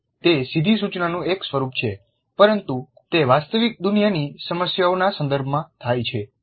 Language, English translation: Gujarati, It is a form of direct instruction but it occurs in the context of real world problems